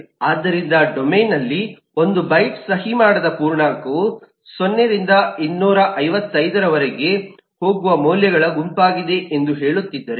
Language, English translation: Kannada, so if am talking about, say, 1 byte eh unsigned integer in the domain, is the set of values going from 0 through 255